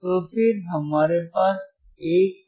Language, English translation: Hindi, So, then we have 1